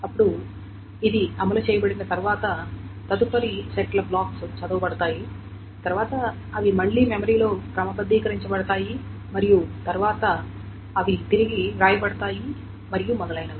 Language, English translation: Telugu, Then once that is run, the next set of end blocks are red, then they are red, then they are again sorted in memory and then they are written back and so on, so forth